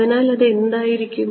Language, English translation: Malayalam, So, what is that going to be